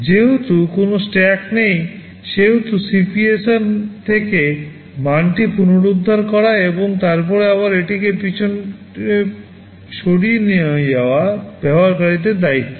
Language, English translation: Bengali, Since there is no stack it is the users’ responsibility to restore the value from the CPSR and then again move it back and forth